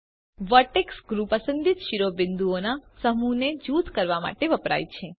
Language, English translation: Gujarati, Vertex groups are used to group a set of selected vertices